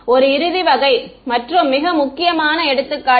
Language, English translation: Tamil, One final sort of and very important take is